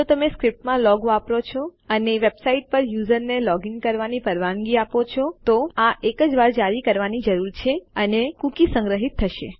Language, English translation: Gujarati, If you are using a log in script and you let the user log into your website, you would need to issue this only once and then the cookie will be stored